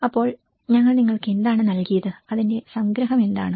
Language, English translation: Malayalam, So, what we have given to you and what is the summary of it